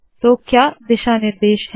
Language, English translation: Hindi, So what are the guidelines